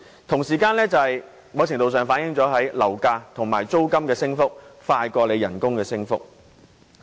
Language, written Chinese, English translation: Cantonese, 同時，在某程度上，這亦反映樓價和租金升幅較工資升幅快。, This is a very important key point . At the same time to a certain degree this also reflects that property prices and rents have been rising faster than wages